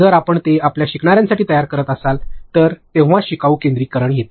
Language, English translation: Marathi, If you are making it for your learners only that is when learner centricity comes in